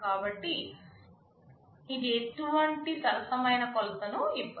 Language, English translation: Telugu, So, it does not give any fair measure